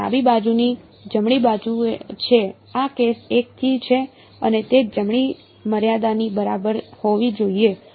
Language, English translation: Gujarati, So, that is a left hand side right this is from case 1 and that should be equal to the right limit